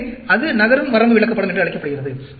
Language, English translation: Tamil, So, that is called a moving range chart